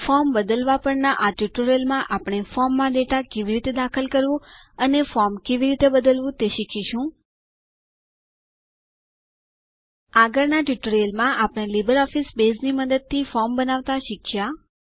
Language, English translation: Gujarati, In this tutorial on Modifying a Form, we will learn how to Enter data in a form, Modify a form In the previous tutorial, we learnt to create a form using LibreOffice Base